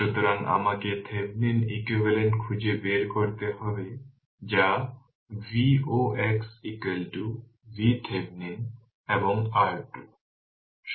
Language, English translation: Bengali, So, you have to find out Thevenin equivalent that is V oc is equal to V Thevenin and R thevenin